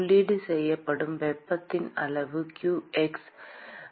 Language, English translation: Tamil, the amount of heat that is input is qx (right